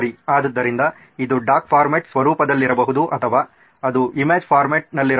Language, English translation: Kannada, So it could be in doc format or it could even be in image format